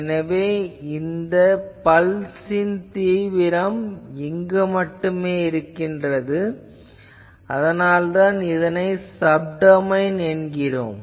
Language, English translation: Tamil, So, domain of this pulse is existing only over this, that is why it is a name Subdomain basis